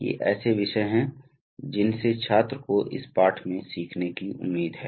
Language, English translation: Hindi, So these are the topics that the student is expected to learn from this lesson